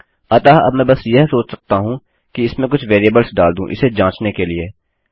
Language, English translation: Hindi, So now, all I can really think is about to add a few variables in to this test